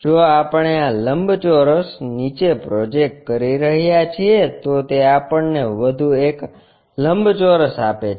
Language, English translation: Gujarati, If we are projecting this rectangle all the way down it gives us one more rectangle